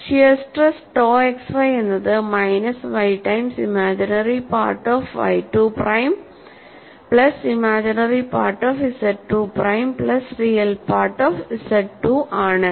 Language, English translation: Malayalam, And the shear stress tau x y is given as, minus y times imaginary part o f y 2 prime plus imaginary part of z 2 prime plus real part of z 2